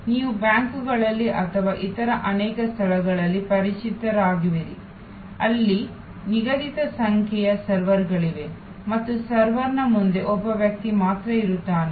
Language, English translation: Kannada, You are familiar at banks or many other places, where there are fixed number of servers and there is only one person in front of the server